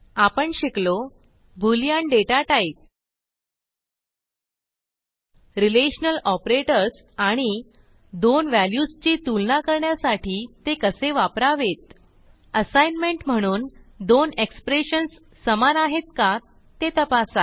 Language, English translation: Marathi, In this tutorial we have learnt, about the boolean data type The relational operators and how to use relational operators to compare data As an assignment for this tutorial, find out if the two expressions shown are equivalent